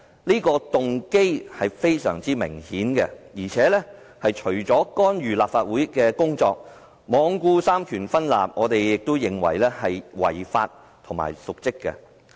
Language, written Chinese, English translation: Cantonese, 他的動機非常明顯，除了干預立法會的工作，罔顧三權分立，我們認為他這樣做也是違法和瀆職。, His motives are apparent . Apart from interfering with the affairs of the Legislative Council and disregarding the separation of powers he has also violated the law and committed dereliction of duty